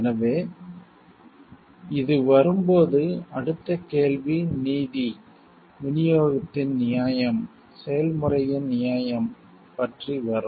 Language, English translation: Tamil, So, and when this comes in next question will come about the justice, fairness of distribution fairness of process